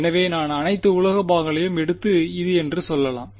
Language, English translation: Tamil, So, I can take all the metal parts and say this is